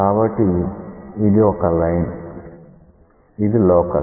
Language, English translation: Telugu, So, this is a line, this is the locus